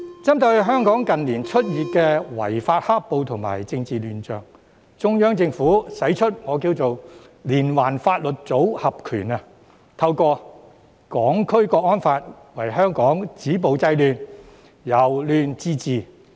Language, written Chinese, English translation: Cantonese, 針對香港近年出現的違法"黑暴"及政治亂象，中央政府使出"連環法律組合拳"，透過《香港國安法》為香港止暴制亂，令社會由亂到治。, In light of the illegal black - clad violence and political chaos in Hong Kong in recent years the Central Government has thrown combination punches by introducing a package of legal measures . It seeks to stop violence and curb disorder in Hong Kong through the National Security Law and bring our society from chaos to governance